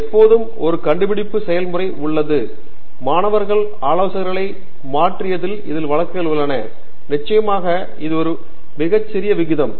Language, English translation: Tamil, There is always a discovery process, there are cases in which students have switched advisors, of course that is a very small proportion